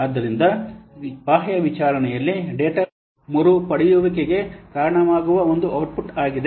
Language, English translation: Kannada, So an external inquiry is an output that results in data retrieval